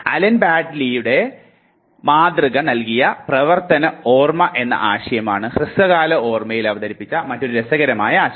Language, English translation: Malayalam, Another interesting concept that was introduced to short term memory was the concept of working memory given by Allen Baddeleys Model